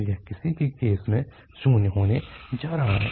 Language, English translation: Hindi, So, this is going to be zero in either case